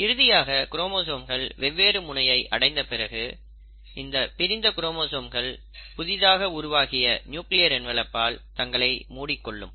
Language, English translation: Tamil, And then finally, by the end of it, the chromosomes have reached the other two ends and as a result, you find that these separated chromosomes now start getting enclosed in the newly formed nuclear envelope